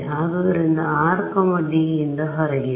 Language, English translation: Kannada, So, when r is outside D ok